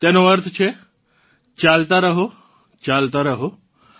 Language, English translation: Gujarati, It means keep going, keep going